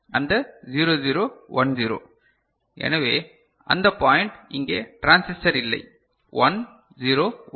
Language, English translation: Tamil, That 0 0 1 0; so, this point we do not have a transistor here 1 0 1